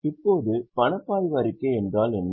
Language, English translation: Tamil, So, can you tell now what is a cash flow statement